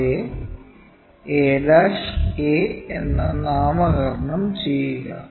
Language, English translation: Malayalam, Name them as a ' and a